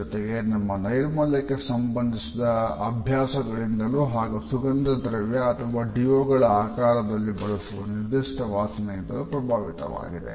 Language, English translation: Kannada, It is also influenced by our habits in terms of our hygiene and the use of a particular smell in the shape of a perfume or deo